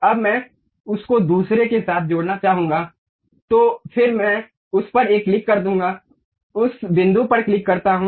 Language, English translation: Hindi, Now, I would like to join that one with other one, again I click that one, click that point